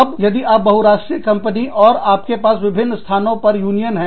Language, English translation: Hindi, Now, if you are a multinational company, and you have unions, in different places